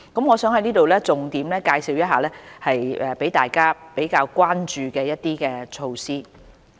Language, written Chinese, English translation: Cantonese, 我想在這裏重點介紹一些大家比較關注的措施。, Here I would like to highlight some of the measures about which people are more concerned